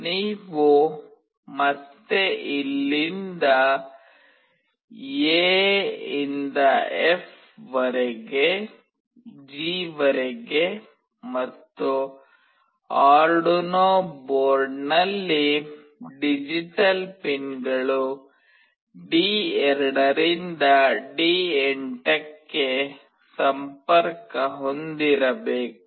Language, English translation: Kannada, You have to again connect from segment here from A till F till G, and digital pins D2 to D8 on the Arduino board